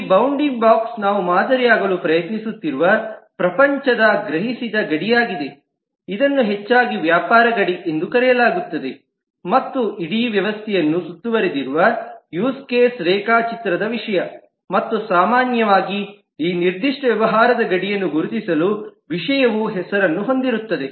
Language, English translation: Kannada, This bounding box is the perceived boundary of the world that we are trying to model, and it is often called the business boundary and or the subject of the use case diagram, which bounds the whole system and typically subject will have a name to identify this particular business boundary